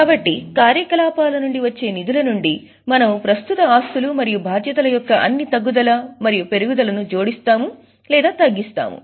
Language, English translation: Telugu, So, from funds from operations, we add and reduce all decreases and increases of current assets and liabilities